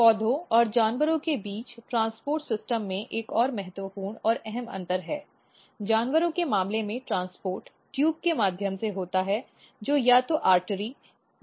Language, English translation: Hindi, Another important and key difference between the transport in the transport system between plants and animals are, in case of animals transport occurs through the tube which is either artery or veins